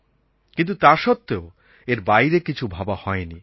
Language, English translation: Bengali, No one ever thought beyond this